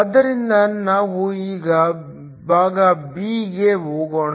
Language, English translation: Kannada, So, let us now go to part b